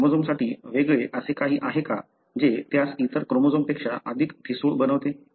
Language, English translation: Marathi, Is their anything that is unique to that chromosome that makes it more brittle than any other chromosome